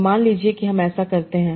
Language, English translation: Hindi, So suppose we do that